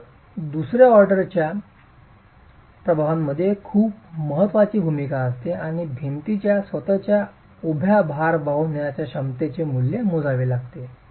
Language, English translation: Marathi, So, the second order effects have a very significant role and have to be accounted for in estimating the value of the vertical load carrying capacity of the wall itself